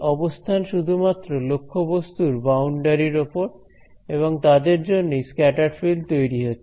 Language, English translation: Bengali, The location is only on the boundary of the object and they are responsible for creating the scattered field